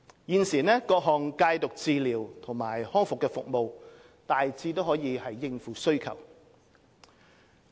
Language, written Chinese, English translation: Cantonese, 現時，各項戒毒治療和康復服務大致可應付需求。, At present various drug treatment and rehabilitation services in general are able to meet service demand